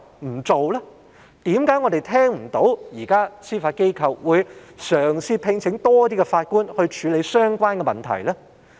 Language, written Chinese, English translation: Cantonese, 為何我們現時聽不到司法機構嘗試聘請更多法官處理相關的問題呢？, Why we have not heard anything about the Judiciarys attempt to appoint more judges to deal with the problem?